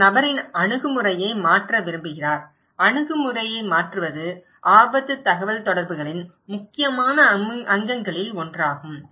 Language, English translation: Tamil, He wants to change the attitude of the person okay, is changing attitude is one of the critical component of risk communications